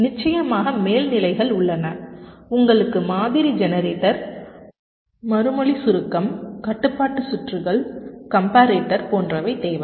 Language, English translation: Tamil, of course you need the pattern generator, response, compaction, control circuits, compotator, etcetera